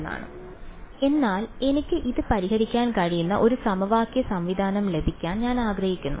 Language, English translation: Malayalam, Now, but I want to get a system of equation so that I can solve this